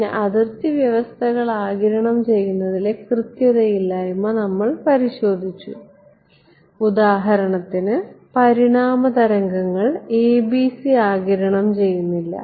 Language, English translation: Malayalam, Then we looked at the inaccuracy of absorbing boundary conditions for example, evanescent waves are not absorbed by ABC